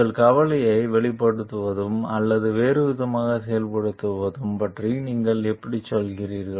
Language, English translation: Tamil, How do you go about voicing your concern or otherwise acting on it